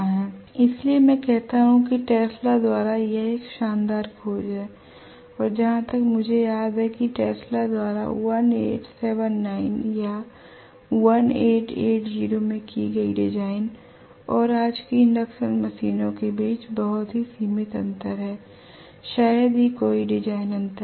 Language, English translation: Hindi, So that is why I say that this is a fantastic discovery by Tesla and as far as I remember there is hardly any design difference between what Tesla designed in 1879 or 1880 and today’s induction machines, very very limited difference in the design